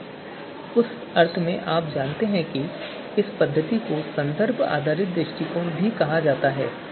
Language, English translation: Hindi, So in that sense you know this method is also called as reference based approach right